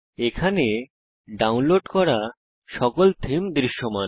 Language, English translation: Bengali, Here all the themes which have been downloaded are visible